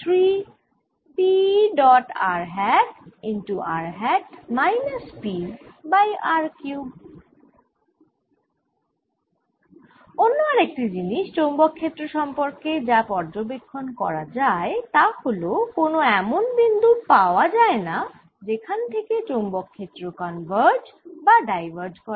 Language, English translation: Bengali, the other thing which is observed about magnetic field is that there are no points where the field converges to or diverges from